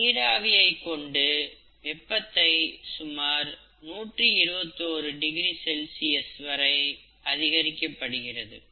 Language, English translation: Tamil, So the temperature is raised to about 121 degrees C, steam is used